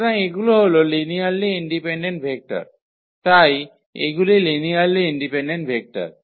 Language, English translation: Bengali, So, they are linearly independent vectors so, these are linearly independent vectors